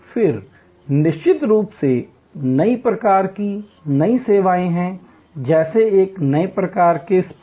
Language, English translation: Hindi, Then of course, there are batch type of new services, like a new type of spa